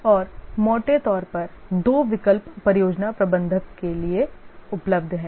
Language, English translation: Hindi, And broadly two options are available to the project manager